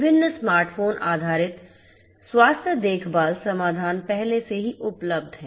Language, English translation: Hindi, Different smart phone based healthcare solutions are already available